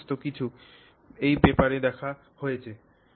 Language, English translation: Bengali, So all of that is looked at in this paper